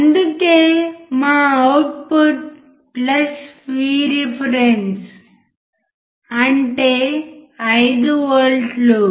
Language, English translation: Telugu, That is why our output is +V reference which is 5 volts